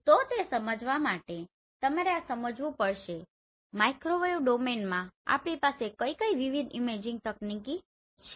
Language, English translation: Gujarati, So to understand that you have to understand what are the different imaging techniques we have in microwave domain